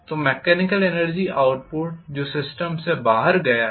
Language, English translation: Hindi, So the mechanical energy output that has come out of the system